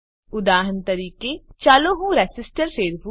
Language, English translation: Gujarati, For example, let me rotate the resistor